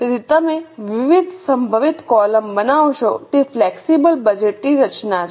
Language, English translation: Gujarati, So, you will make various possible columns and that is how the flexible budget is structured